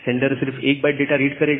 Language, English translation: Hindi, Sender will send only 1 byte of data